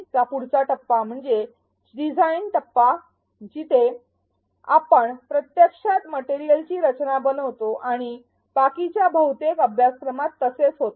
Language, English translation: Marathi, The next phase of ADDIE is the design phase where we actually dive into designing the materials and this is what most of the rest of the course is going to be about